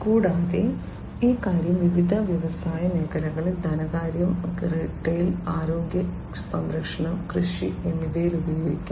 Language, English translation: Malayalam, And, this thing can be used in different industry sectors, finance, retail, healthcare, agriculture